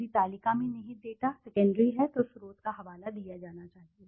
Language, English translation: Hindi, If the data contained in the table are secondary the source should be cited